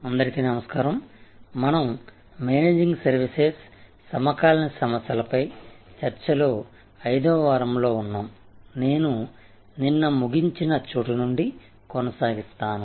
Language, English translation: Telugu, Hello, so we are in week 5 of Managing Services, Contemporary Issues, I will continue from where I left of yesterday